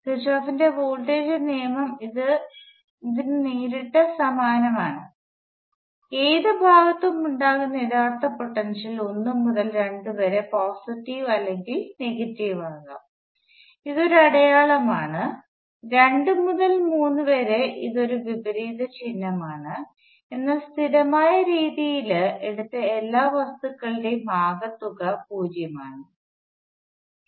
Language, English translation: Malayalam, And Kirchhoff’s voltage law is directly analogous to this, and the actual potential arise in any part could be either positive or negative from 1 to 2, it is a one sign; from 2 to 3, it is a opposite sign and so on, but the sum of all of those things taken in a consistent way is 0